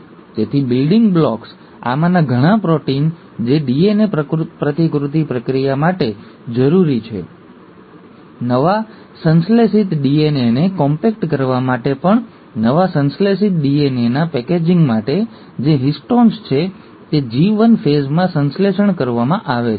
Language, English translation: Gujarati, So the building blocks, a lot of these proteins which are necessary for the process of DNA replication, also for compacting the newly synthesized DNA, for the packaging of the newly synthesized DNA, which is the histones are getting synthesized in the G1 phase